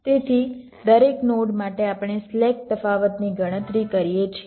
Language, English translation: Gujarati, so for every node, we calculate the slack, the difference